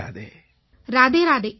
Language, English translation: Tamil, Radhe Radhe, Namaste